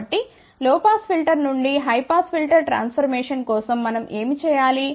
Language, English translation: Telugu, So, for low pass filter to high pass filter transformation, what we need to do